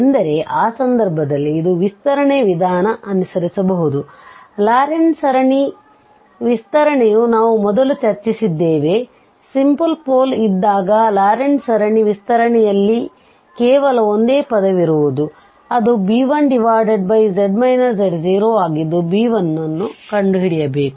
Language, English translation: Kannada, In that case, this is going to be the expansion, the Laurent series expansion which we have discussed before that, I case of simple pole we have only just one term in the Laurent series expansion that b1 over z minus z naught and we are interested in what is this b1